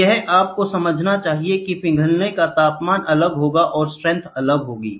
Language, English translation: Hindi, So, you should understand the melting temperature will be different, the strength will be different